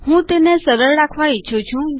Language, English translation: Gujarati, I want to keep it simple